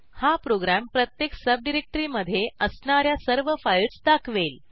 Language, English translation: Marathi, This program displays all the files within each subdirectory